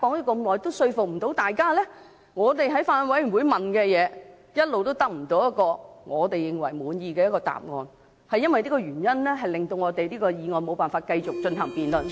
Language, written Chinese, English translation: Cantonese, 我們在法案委員會提出的問題，一直得不到滿意的答案，因為這個原因，令這項《條例草案》無法繼續進行辯論......, We had raised questions at meetings of the Bills Committee but we did not get any satisfactory answers . That is why we cannot continue to debate on the Bill